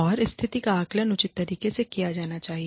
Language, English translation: Hindi, And, the situation should be assessed, in a reasonable manner